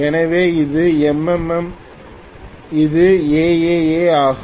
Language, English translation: Tamil, So this is M MM this is A AA